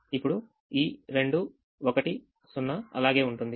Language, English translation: Telugu, now this two, one zero will remain